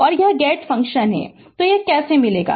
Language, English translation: Hindi, And it is a gate function, so how we will get it